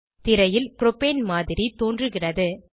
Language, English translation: Tamil, The Model of Propane appears on screen